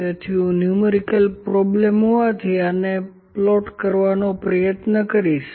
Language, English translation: Gujarati, So, I will try to plot this as was, so I have numerical problem here